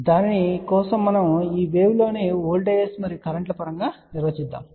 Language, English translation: Telugu, So, for that we are going to define these waves in terms of voltages and currents